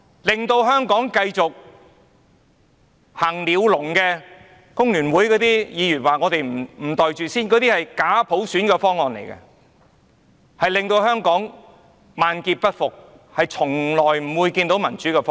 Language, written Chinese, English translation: Cantonese, 令香港繼續在鳥籠中行走的工聯會議員說我們不肯"袋住先"，但假普選方案只會令香港萬劫不復，從來也不是達致民主的方案。, It was a proposal that would only continue to constrain Hong Kong to a bird cage . Members from The Hong Kong Federation of Trade Unions accused us of refusing to pocket the proposal first but the fake universal suffrage proposal would only take Hong Kong to a point of no return and it was never a proposal for democratization